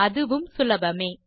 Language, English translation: Tamil, Its simple too